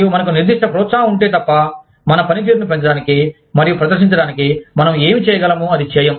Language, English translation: Telugu, And unless, we have a specific incentive, to increase our performance, and demonstrate, what we can do